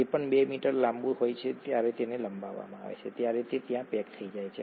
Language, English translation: Gujarati, Whatever is 2 metres long when stretched out, gets packaged there